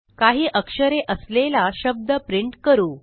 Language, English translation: Marathi, Let us print a word using a few characters